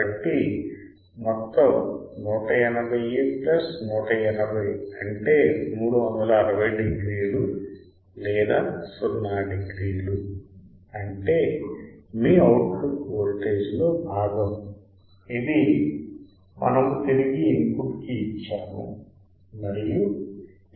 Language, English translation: Telugu, So, the total is 180 plus 180 that will be 360 degree or 0 degree; which means, your output is part of the output voltage which we have fed back to the input and is 0 degrees